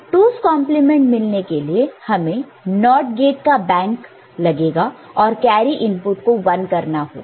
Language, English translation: Hindi, Here, 2’s complement is achieved by a bank of NOT gate and making the carry input 1